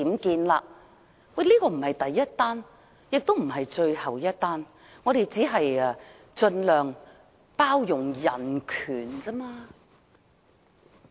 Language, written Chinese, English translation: Cantonese, 其實，當前的做法並非第一宗，也不是最後一宗，我們只是盡量包容人權而已。, Actually this is not the first time that we see this existing arrangement; neither will this be the last time . Our mere intention is to tolerate this human right as much as possible